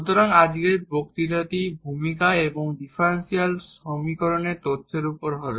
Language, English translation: Bengali, So, today’s lecture will be diverted to the introduction and the information of differential equations